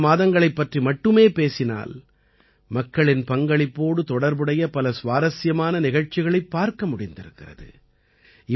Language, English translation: Tamil, If we talk about just the first few months, we got to see many interesting programs related to public participation